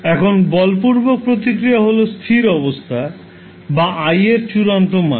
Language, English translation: Bengali, Now forced response is the steady state or the final value of i